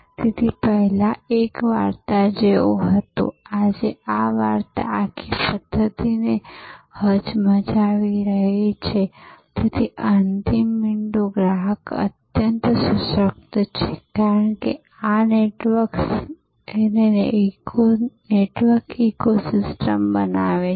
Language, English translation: Gujarati, So, earlier this was like a tale, today this tale is whacking the whole system, so the end point, the customer is highly empowered, because of these networks and the networks forming ecosystems